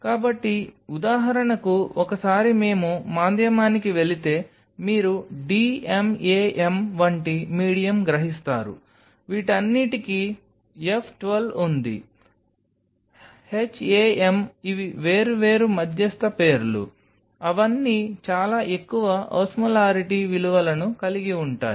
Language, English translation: Telugu, So, for example, once we will go to the medium you will realize medium like d m a m all these have F 12, HAM these are different medium names they all have pretty high osmolarity values